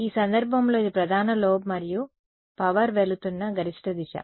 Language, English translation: Telugu, So, in this case this was the main lobe and the maximum direction in which power was going